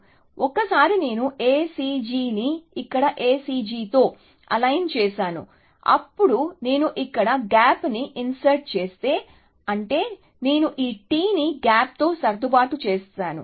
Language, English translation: Telugu, So, you can see that, that once I align A C G with A C G here, then if I insert the gap here, which means, I will align this T with a gap